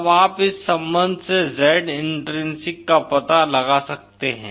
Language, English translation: Hindi, Then you can find out Z intrinsic from this relation